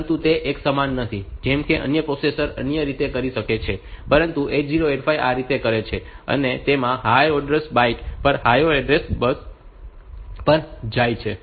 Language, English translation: Gujarati, But it is not uniform like say some other processor may do it in other way, but 8085 does it in this fashion the higher order byte goes to higher order address